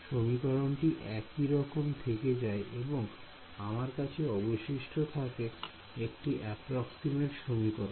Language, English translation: Bengali, This expression remains as it is and I am left over here with that approximate expressions